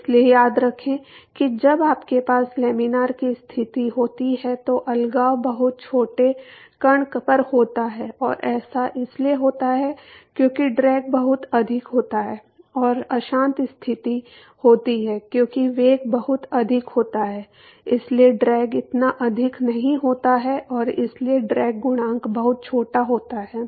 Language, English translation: Hindi, So, remember that when you have laminar conditions the separation occurs at a much smaller angle and that because the drag is much higher and a turbulent conditions because the velocity is much higher the drag is not that high and therefore, the drag coefficient is much smaller